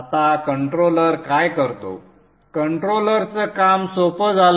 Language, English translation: Marathi, So, now what is the controller doing